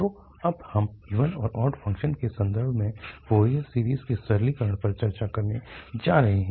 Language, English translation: Hindi, So, that is this simplification for even and odd functions, we are going to discuss now in context of the Fourier series